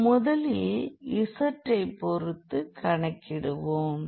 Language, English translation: Tamil, So, that will be z and then the upper limit